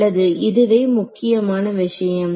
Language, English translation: Tamil, Well this is the main thing